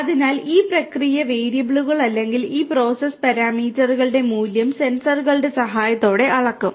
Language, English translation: Malayalam, So, this process variables or the values of this process parameters would be measured with the help of sensors